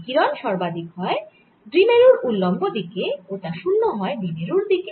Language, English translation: Bengali, radiation is maximum in the direction perpendicular to the dipole and it is zero in the direction of the dipole